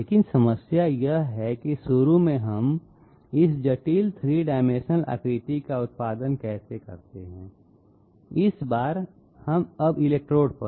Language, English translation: Hindi, But the problem remains, initially how do we produce this complex 3 dimensional shape on the you know this time now on the electrodes